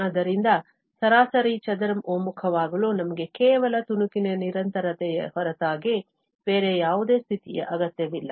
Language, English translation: Kannada, So, for mean square convergence, we do not need any other condition than just the piecewise continuity